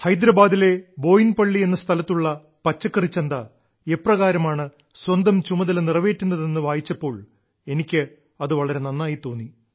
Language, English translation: Malayalam, I felt very happy on reading about how a local vegetable market in Boinpalli of Hyderabad is fulfilling its responsibility